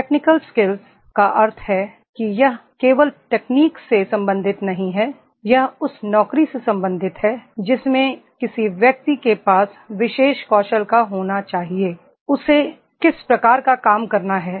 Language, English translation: Hindi, Technical skills means it is not related to the technology only, it is related to the job that one should have that particular skill of the, what type of the job he has to do